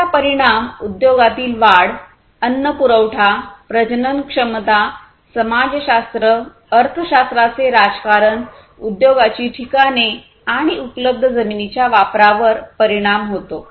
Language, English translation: Marathi, It affects the industry growth, food supplies, fertility, sociology, economics politics, industry locations, use of available lands, and so on